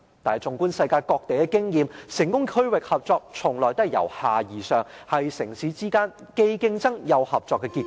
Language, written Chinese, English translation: Cantonese, 但是，縱觀世界各地的經驗，成功的區域性合作，從來都是由下而上，是城市之間既競爭又合作的結果。, Nevertheless an overview of the experience around the world shows that successful regional cooperation has always been achieved through a bottom - up approach and the result of competitions plus cooperation among cities